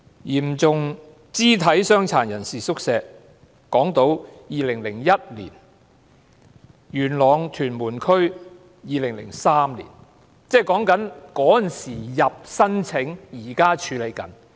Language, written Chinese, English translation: Cantonese, 嚴重肢體傷殘人士宿舍方面，港島正處理2001年的申請，元朗、屯門區正處理2003年的申請。, Regarding hostels for persons with severe disabilities the ones on Hong Kong Island are processing the applications of 2001 while those in Yuen Long and Tuen Mun are processing the applications of 2003